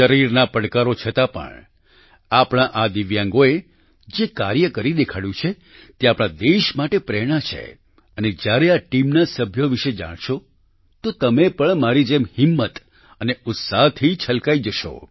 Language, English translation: Gujarati, Despite the challenges of physical ability, the feats that these Divyangs have achieved are an inspiration for the whole country and when you get to know about the members of this team, you will also be filled with courage and enthusiasm, just like I was